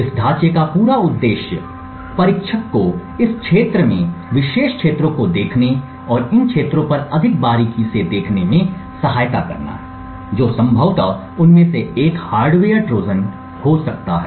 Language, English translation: Hindi, The whole objective of this framework is to aid the whole objective of this entire framework is to aid the tester to look at particular regions in this code and look more closely at these regions which could potentially have a hardware Trojan in them